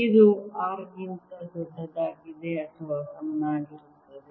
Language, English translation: Kannada, this is for r greater than or equal to r